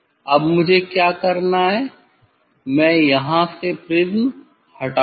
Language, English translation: Hindi, now, what I have to do, I will take out the prism from here